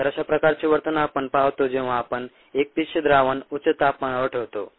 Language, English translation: Marathi, so this is the kind of behavior that we see when we expose single cell suspensions to high temperature